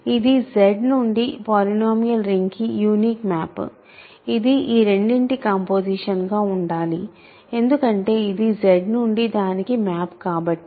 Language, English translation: Telugu, So, this is the only one map from Z to the polynomial ring, it must be the composition of these two because that is the map from Z to that